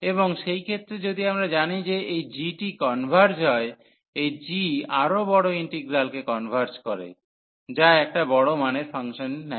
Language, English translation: Bengali, And in that case if we know that this g converges, this g converges the larger integral which is taking the function taking large values